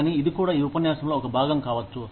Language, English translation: Telugu, But, this can also be, a part of this lecture